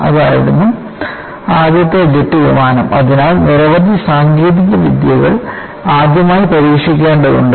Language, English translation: Malayalam, So, you have to realize, that was the first jet airliner;so, many technologies have to be tried for the first time